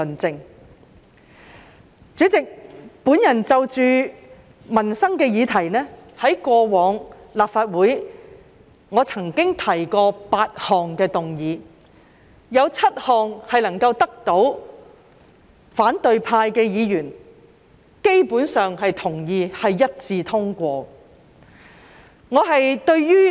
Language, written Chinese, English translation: Cantonese, 主席，我過往曾就民生的議題，在立法會提出8項議案，當中7項得到反對派議員基本上同意，是一致通過的。, President among the eight motions on livelihood issues that I proposed in the Legislative Council in the past seven of them were agreed in general by Members of the opposition camp and were passed unanimously